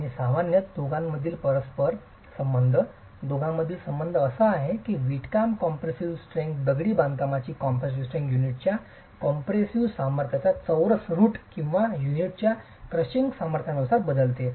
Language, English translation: Marathi, And typically the correlation between the two, the relation between the two is that the brickwork compressive strength, the masonry compressive strength varies as the square root of the compressor strength of the unit or the crushing strength of the unit